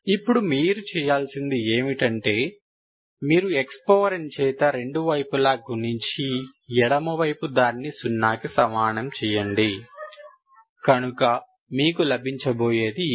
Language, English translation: Telugu, Now what you do is you simply multiply both sides, left hand side equal to zero, so this is what you have